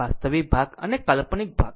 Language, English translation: Gujarati, Real part and imaginary part